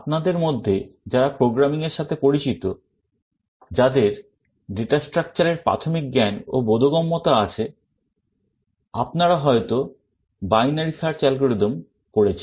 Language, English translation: Bengali, For those of you who are familiar with programming have some basic knowledge and understanding of data structure, you may have come across the binary search algorithm